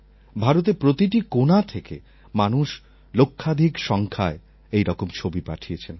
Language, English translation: Bengali, People sent pictures in lakhs from every corner of India